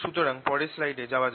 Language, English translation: Bengali, so what we've obtained go to the next slide